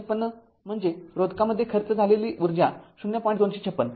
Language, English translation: Marathi, 256 that is your your energy dissipated in resistor 0